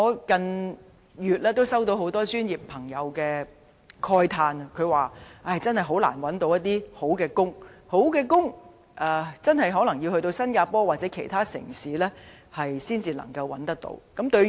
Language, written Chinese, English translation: Cantonese, 近月很多專業朋友慨嘆難以覓得好工作，表示可能要到新加坡或其他地方，才能夠找到好工作。, In the last few months many members from professional sectors felt pity about the difficulties in getting good jobs saying that they may need to move to Singapore or other places for greener pastures